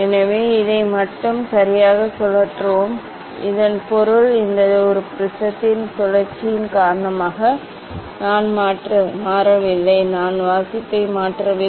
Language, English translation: Tamil, So, we will rotate this one only ok, so that means I am not changing because of the rotation of this one prism, I am not changing the reading